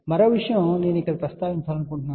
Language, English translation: Telugu, Again one more thing I want to mention here